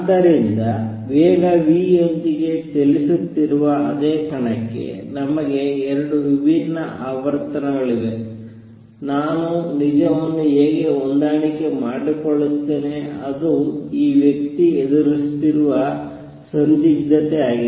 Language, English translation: Kannada, So, for the same particle which is moving with speed v, we have 2 different frequencies, how do I reconcile the true, that was the dilemma that this person was facing